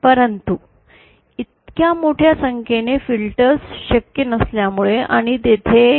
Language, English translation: Marathi, But since the large numbers of filters are not possible and also there is